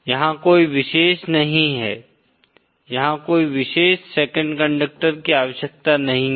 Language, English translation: Hindi, There is no special, there is no need of a special 2nd conductor